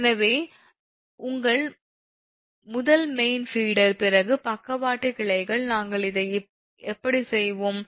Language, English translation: Tamil, therefore, what do your first mean, feeder, the lateral branches, how we will do this